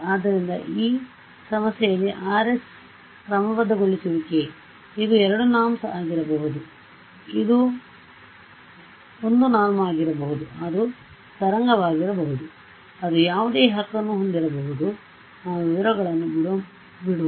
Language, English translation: Kannada, So, in this problem this Rx is the regularization, this can be 2 norm, it can be 1 norm, it can be wavelet something whatever right let us just leave out leave the details out